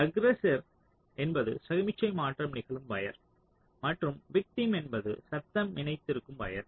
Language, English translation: Tamil, so aggressor is the wire on which signal transition is occurring and victim is the wire on which the noise is is getting coupled